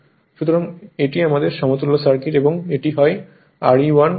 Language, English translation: Bengali, So, this is your my equivalent circuit R e 1 X e 1 right